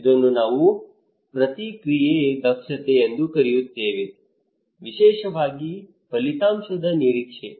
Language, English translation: Kannada, this is we called response efficacy, particularly outcome expectancy